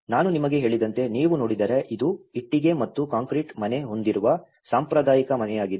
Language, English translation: Kannada, And as I said to you if you see this was a traditional house with a brick and concrete house